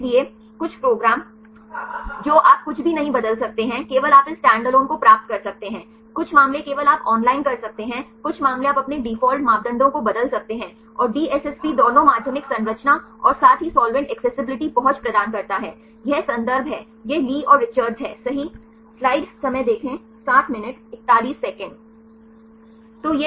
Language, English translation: Hindi, So, some program you cannot change anything some of case only you can get this standalone, some case only you can do the online some cases you can manipulate the change your default parameters and DSSP provides both secondary structure as well as the solvent accessibility, this are the references this is Lee and Richards right